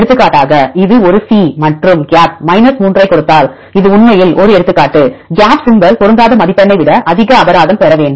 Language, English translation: Tamil, For example, if it is a C and the gap gives 3, this is one example in the reality if you see the gap symbol should get more penalty than the mismatch score